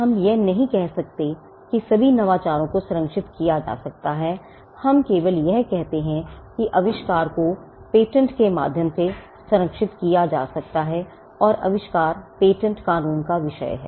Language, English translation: Hindi, We do not say that all innovations can be protected we only say that inventions can be protected by way of patents and invention is the subject matter of patent law